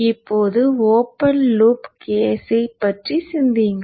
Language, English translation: Tamil, Now think of the open loop case